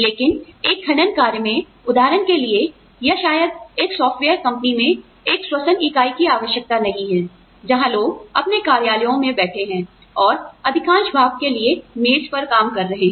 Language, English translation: Hindi, But, in a mining operation, for example, or, maybe, a respiratory unit is not required, say, in a software company, where people are sitting in their offices, and doing desk work for the most part